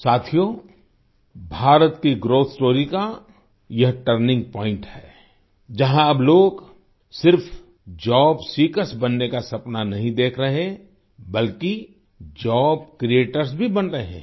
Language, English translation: Hindi, Friends, this is the turning point of India's growth story, where people are now not only dreaming of becoming job seekers but also becoming job creators